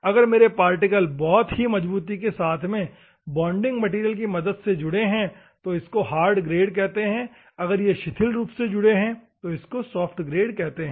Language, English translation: Hindi, If my abrasive particle is held by the bonding material very tightly very hard that is called hard grade; if it is loosely bound, then it is called soft grade, ok